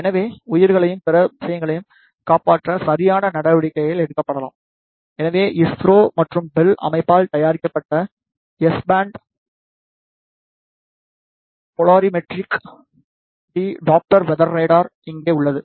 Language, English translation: Tamil, So, that the proper measures can be taken to save lives and other things so, here is the S band Polarimetric Doppler weather radar which is made by the ISRO and BEL organization